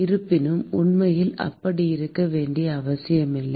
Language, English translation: Tamil, However, in reality that need not necessarily be the case